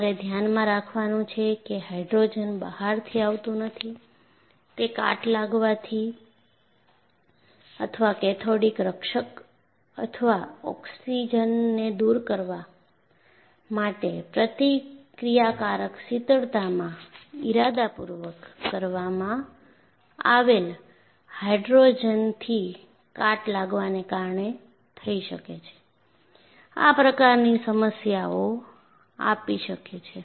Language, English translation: Gujarati, And what you have to keep in mind is, the hydrogen does not come from outside, it may be because of corrosive reaction such as, rusting or cathodic protection or hydrogen that is intentionally added in reactor coolant, they remove oxygen, can also give you problems